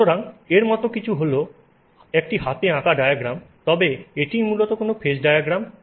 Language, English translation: Bengali, So, what you normally see is a diagram for this but this is basically what you are looking at a phase diagram